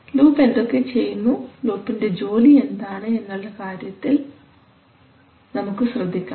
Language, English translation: Malayalam, Now what are we saying now we will concentrate on what the loop is going to do, what is the job of the loop